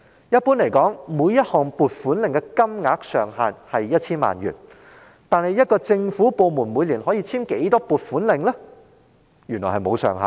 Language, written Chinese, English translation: Cantonese, 一般而言，每一項撥款令所涉金額上限為 1,000 萬元，但每個政府部門每年可以簽署的撥款令數目，原來並無上限。, Generally speaking the maximum amount of funding involved in each allocation warrant is 10 million but there is no restriction on the permissible maximum number of allocation warrants to be signed by the controlling officer of each government department every year